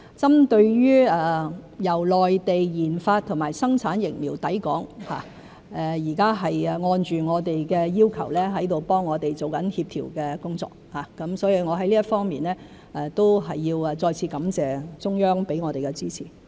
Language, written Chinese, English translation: Cantonese, 針對由內地研發和生產疫苗抵港一事，現時是正按着我們的要求替我們做協調的工作，我在這方面都要再次感謝中央給予我們的支持。, Concerning the supply of vaccines developed and manufactured by the Mainland to Hong Kong coordination work is being undertaken as per our request . In this respect I have to thank the Central Authorities again for lending support to us